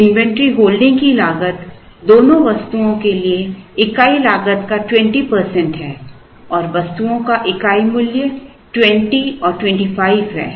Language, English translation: Hindi, The inventory holding cost is 20 percent of the unit cost for both the items and the unit price of the items are 20 and 25